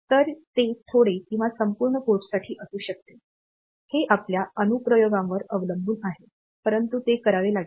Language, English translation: Marathi, So, it may be to the bit or may be to the entire port; depending upon your application, but that has to done